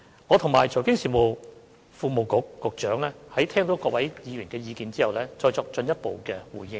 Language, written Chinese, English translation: Cantonese, 我和財經事務及庫務局局長會在聆聽各位議員的意見後，再作進一步回應。, The Secretary for Financial Services and the Treasury and I will make further responses after listening to the opinions of Members